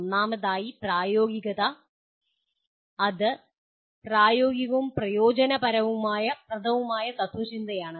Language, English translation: Malayalam, First of all, pragmatism, it is a practical and utilitarian philosophy